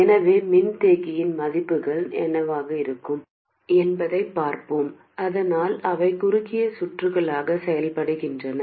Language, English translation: Tamil, So let's see what the capacitor values must be so that they do behave like short circuits